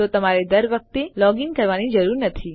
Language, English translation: Gujarati, So you dont have to keep logging in